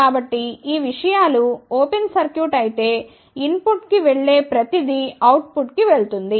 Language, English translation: Telugu, So, if these things are open circuited whatever is the input, that will go to the output